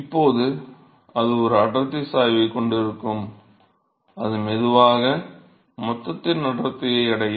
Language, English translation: Tamil, So now, it will have a density gradient, it slowly reach the density of the bulk